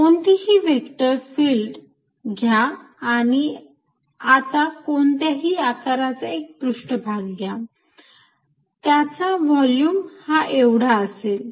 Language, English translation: Marathi, Take any vector field and now take a surface which is of arbitrary shape and encloses the volumes, this is the volume